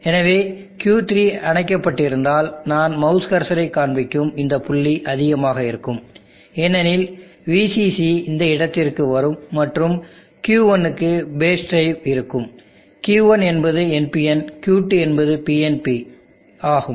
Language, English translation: Tamil, So if Q3 is off this point here as I am showing the mouse cursor, the mouse pointer will be high, because VCC will come to this point and there will be base drive for Q1, Q1 is NPN, Q2 is PNP